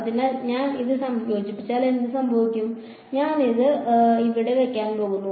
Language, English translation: Malayalam, So, if I integrate this what will happen, I am going to put this inside over here